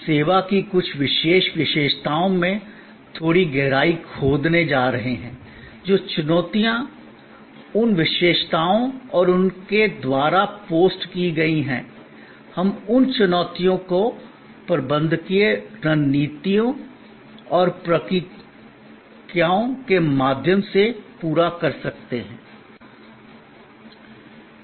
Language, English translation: Hindi, We are going to dig a little deeper into certain particular characteristics of service, the challenges that are post by those characteristics and how, we meet those challenges through the managerial strategies and processes